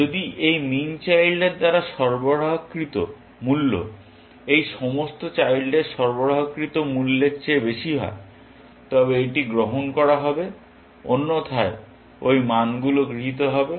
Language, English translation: Bengali, If the value supplied by this min child is higher than the values supplied by all these children, then this would be adopted; otherwise, those values would be adopted